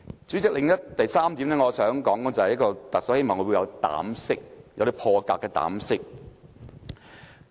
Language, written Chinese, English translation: Cantonese, 主席，第三點我想說的是，希望特首會有膽識，有破格的膽識。, President the third point I would like to raise is that I hope the Chief Executive will have the audacity bold audacity